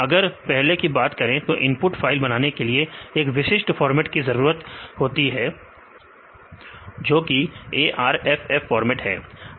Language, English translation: Hindi, Early days if you have to prepare the input in such a way that there should be in a particular format type that is arff format